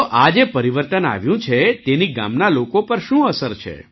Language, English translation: Gujarati, So what is the effect of this change on the people of the village